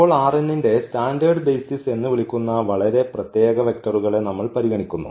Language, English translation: Malayalam, So, we consider these vectors now very special vector which we call the standard basis of R n